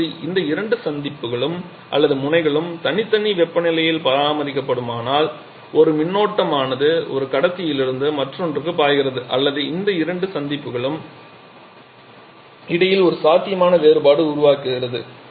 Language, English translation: Tamil, Now if these two junctions or enzyme maintained at separate temperatures then an electrical current starts flowing from through from one conductor to the other or there is a potential difference that gets created between these two junctions